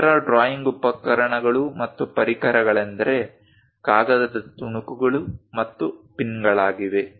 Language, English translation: Kannada, The other drawing instruments and accessories are paper clips and pins